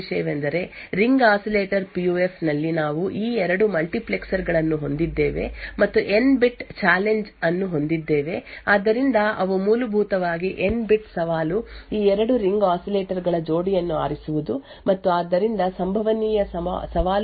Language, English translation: Kannada, So, the 1st thing to note is that in Ring Oscillator PUF we have these 2 multiplexers here and N bit challenge, so they are essentially N bit challenge is choosing a pair of these 2 ring oscillators and therefore the number of challenges possible is N chose 2